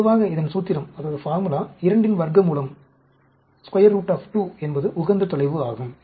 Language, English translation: Tamil, The generally, the formula is square root of 2 is the optimum distance